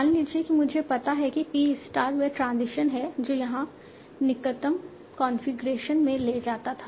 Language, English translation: Hindi, Suppose I find out that T star is the transition that was taken to the closest configuration here